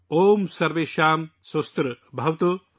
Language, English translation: Urdu, Om Sarvesham Swastirbhavatu